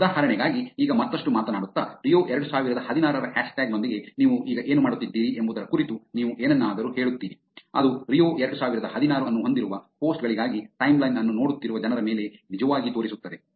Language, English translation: Kannada, Now just further talking about for example, you would say something about what you are doing now with the hashtag Rio 2016 which will actually show up on people who are looking at timeline for the posts which has Rio 2016